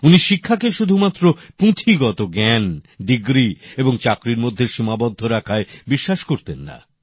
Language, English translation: Bengali, He did not consider education to be limited only to bookish knowledge, degree and job